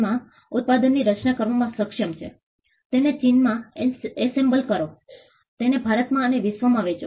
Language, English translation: Gujarati, So, Apple is able to design the product in US; assemble it in China; sell it in India and across the world